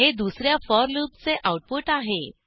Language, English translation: Marathi, This is the output for the 2nd for loop